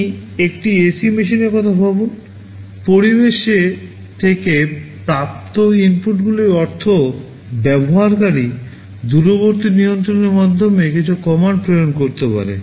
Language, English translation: Bengali, You think of an ac machine; the inputs from the environment means, well the user can send some commands via the remote control